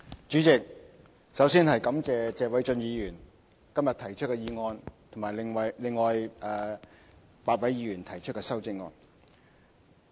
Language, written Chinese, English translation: Cantonese, 主席，首先感謝謝偉俊議員今日提出的議案及另外8位議員提出的修正案。, President first of all I would like to thank Mr Paul TSE for proposing the motion and the eight Members for moving the amendments